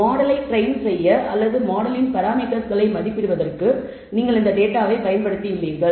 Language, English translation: Tamil, You have used the model to train you to use the data to train the model or estimate the parameters of the model